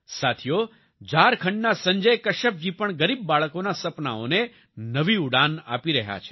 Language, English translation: Gujarati, Friends, Sanjay Kashyap ji of Jharkhand is also giving new wings to the dreams of poor children